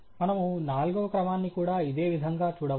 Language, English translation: Telugu, We can also look at in a similar way the fourth order